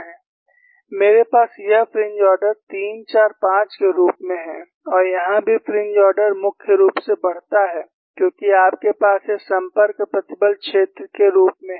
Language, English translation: Hindi, I have this as fringe order 3, 4, 5 and here also fringe order increases, mainly because, you have this is as the contact stress field